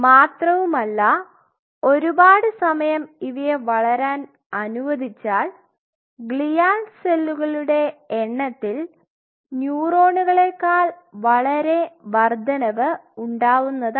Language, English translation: Malayalam, And if you allow the culture for a prolonged period of time then the glial cells will out number the neurons